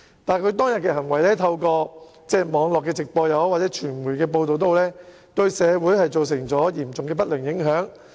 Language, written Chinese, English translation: Cantonese, 但是，他當天的行為透過網絡直播和傳媒報道，對社會造成嚴重的不良影響。, However through the online live broadcast and media reports his conduct on that day has caused significant adverse impacts on the community